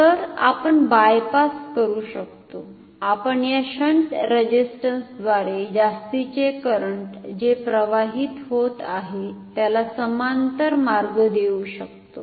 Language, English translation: Marathi, So, we can bypass we can give a parallel route for the excess current to flow through this shunt resistance